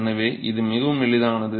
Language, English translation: Tamil, So, it is very easy